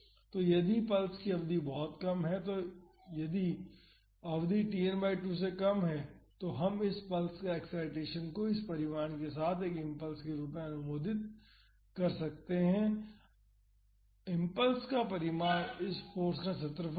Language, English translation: Hindi, And, if the duration of the pulse is very short if the duration is less than Tn by 2, we can approximate this pulse excitation as an impulse with this magnitude, the magnitude of the impulse will be the area of this force